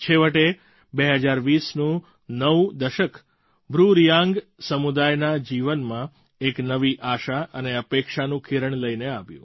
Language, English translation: Gujarati, Finally the new decade of 2020, has brought a new ray of hope in the life of the BruReang community